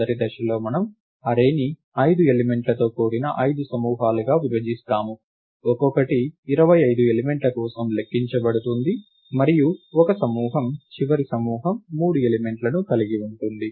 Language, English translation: Telugu, In the first step we divide the array into 5 groups of 5 elements each which may counts for 25 elements, and 1 group the last group of 3 elements